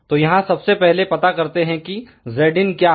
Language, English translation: Hindi, So, first of all let us find out here what is Z input